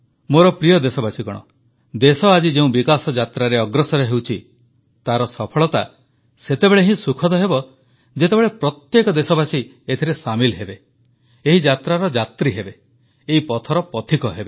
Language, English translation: Odia, My dear countrymen, the country is on the path of progress on which it has embarked upon and this journey will only be comfortable if each and every citizen is a stakeholder in this process and traveller in this journey